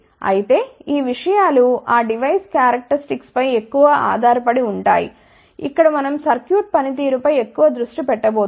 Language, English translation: Telugu, However, these things are more dependent upon that device characteristics, here we are going to focus more on the circuit performance